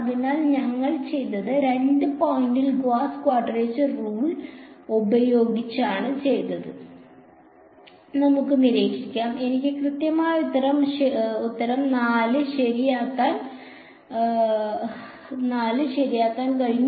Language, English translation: Malayalam, So, let us observe that what we did is by using only at 2 point Gauss quadrature rule, I was able to get the exact answer 4 right